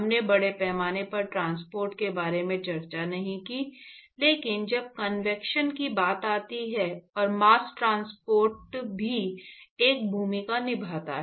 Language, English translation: Hindi, So, we did not discuss about mass transport, but when it comes to convection, and mass transport also plays a role